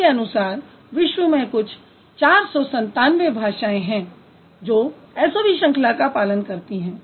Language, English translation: Hindi, Out of that, their claim is that approximately some 497 languages in the world, they have SOV pattern